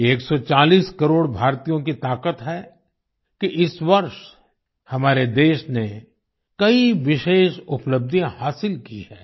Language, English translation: Hindi, It is on account of the strength of 140 crore Indians that this year, our country has attained many special achievements